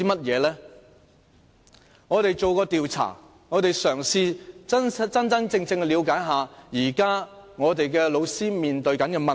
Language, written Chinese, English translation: Cantonese, 我們曾經進行調查，嘗試真正了解現時老師面對的問題。, We have conducted a survey trying to understand the problems currently faced by teachers